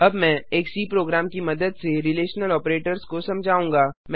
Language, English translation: Hindi, Now I will demonstrate the relational operators with the help of a C program